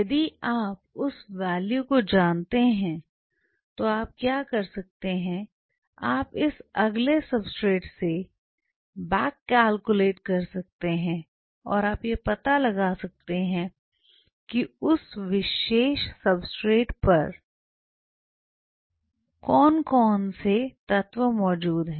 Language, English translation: Hindi, If you know that value and what you can do is you can back calculate from this next substrate and you can figure out what all elements are present on that particular substrate right